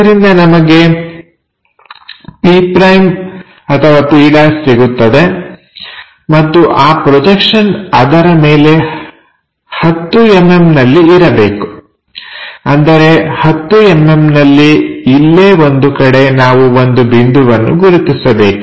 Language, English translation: Kannada, So, that p’ we will get and that projection supposed to be is 10 mm above it; that means, at 10 mm we have to mark a point somewhere here